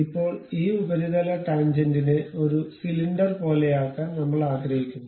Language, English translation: Malayalam, Now, I would like to really mate this surface tangent to something like a cylinder